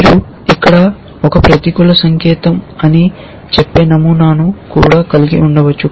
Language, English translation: Telugu, You can also have a pattern which says, it is a negative sign here